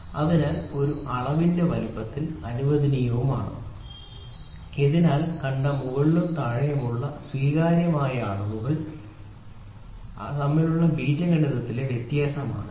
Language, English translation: Malayalam, So, permitted in the size of a dimension and is the algebraic difference between the upper and the lower acceptable dimension which we have already seen